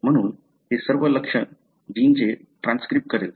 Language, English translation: Marathi, Therefore, it will go and transcribe all the target genes